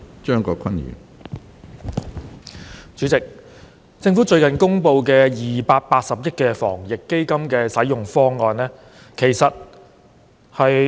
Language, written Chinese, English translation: Cantonese, 主席，政府最近公布280億元防疫抗疫基金的使用方案。, President the Government recently announced the proposed use of the 28 billion Fund